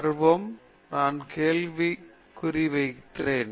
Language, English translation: Tamil, Arrogant I put question mark